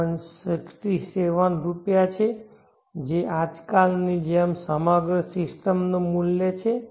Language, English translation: Gujarati, 67 rupees that is the work of the entire system